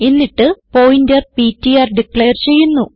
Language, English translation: Malayalam, Then we have declared a pointer ptr